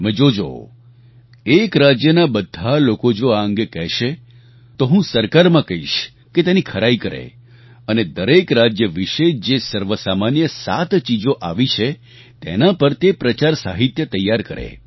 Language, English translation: Gujarati, You see, if all the people of one state will do this, then I will ask the government to do a scrutiny of it and prepare publicity material based on seven common things received from each state